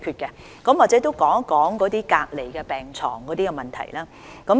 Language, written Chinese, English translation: Cantonese, 或許我也談談隔離病床的問題。, Perhaps let me talk about the issue concerning isolation beds